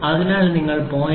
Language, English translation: Malayalam, So, you have 0